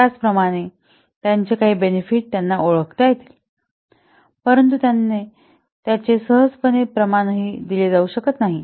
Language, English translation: Marathi, Similarly, some benefits they can be identified but not they can be easily quantified